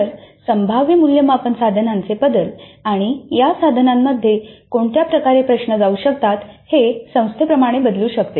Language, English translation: Marathi, So the variation of the possible assessment instruments and the type of questions that can go into these instruments varies dramatically across the institutes